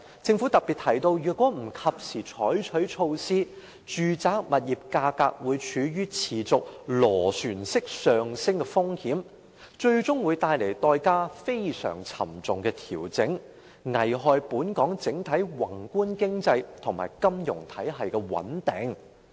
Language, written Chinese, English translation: Cantonese, 政府特別提到，若不及時採取措施，住宅物業價格會處於持續螺旋式上升的風險，最終會帶來代價非常沉重的調整，危害本港整體宏觀經濟及金融體系的穩定。, The Government highlighted that if immediate measures were not taken there was a risk of a spiralling increase in residential property prices; consequently the price of adjustment was very high jeopardizing the macro economy of Hong Kong and the stability of our financial system